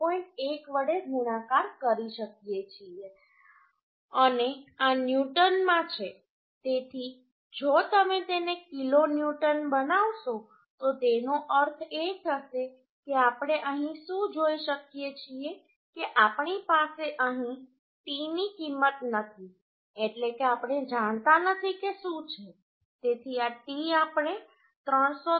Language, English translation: Gujarati, 1 and this is in newton so if you make it kilonewton it will be that means what we could see here that we do not have the T value here means we do not know what will be the T so this T we can make 303